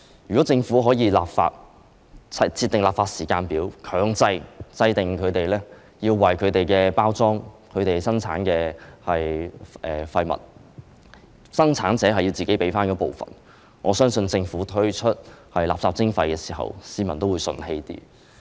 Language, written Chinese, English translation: Cantonese, 如果政府立法，並設定立法時間表，強制生產者要為其產品的包裝、生產的廢物支付費用，我相信當政府推出垃圾徵費時，市民會較為服氣。, If the Government draws up a legislative timetable and enact legislation mandating that producers pay charges for the packaging of their products and the waste produced I believe the public will be less resentful when the Government launches municipal solid waste charging